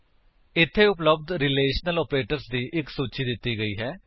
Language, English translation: Punjabi, Here is a list of the relational operators available